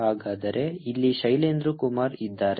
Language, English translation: Kannada, so here is shailendra kumar